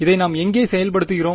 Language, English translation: Tamil, Where all are we enforcing this